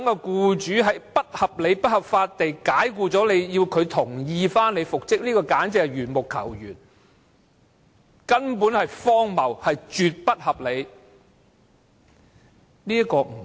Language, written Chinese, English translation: Cantonese, 僱主在不合理及不合法解僱僱員後，還要讓僱主同意僱員復職，簡直是緣木求魚，荒謬至極。, After an employer has unreasonably and unlawfully dismissal his employee if we still have to seek his consent for the employees reinstatement it is just like climbing a tree to catch fish it is really the most absurd measure